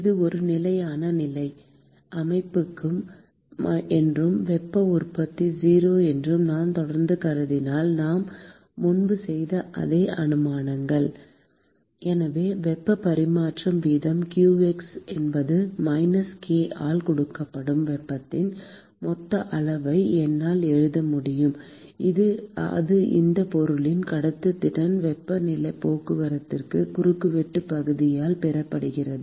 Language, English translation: Tamil, And if I continue to assume that it is a Steady State system and heat generation is 0, same assumptions as what we made before: So, I could simply write the total amount of heat that heat transfer rate qx is given by minus k which is the conductivity of that material multiplied by the cross sectional area of heat transport